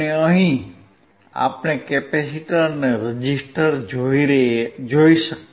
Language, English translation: Gujarati, And here we can see the capacitor and the resistor